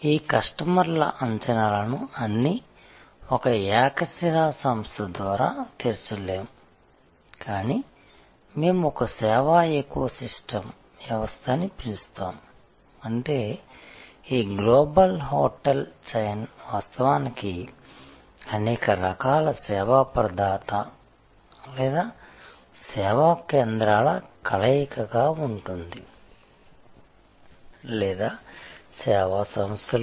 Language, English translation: Telugu, But, this customers array of expectations will be met by not a monolithic entity, but what we have called a service ecosystem, that means this global hotel chain will be actually a combination of number of different types of service provider or service centres or service entities